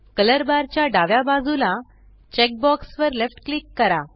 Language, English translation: Marathi, Left click the checkbox to the left of the color bar